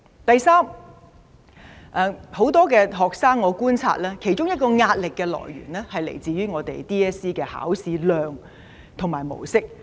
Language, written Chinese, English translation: Cantonese, 第三點，我觀察到很多學生的其中一個壓力來源，是來自香港中學文憑考試的考試範圍及模式。, Third I have observed that the scope and format of the Hong Kong Diploma of Secondary Education Examination DSE is one source of pressure for many students